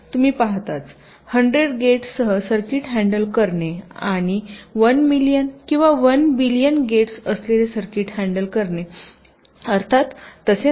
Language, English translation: Marathi, you see, ah, handling a circuit with hundred gates and handling a circuit with one million or one billion gates is, of course, not the same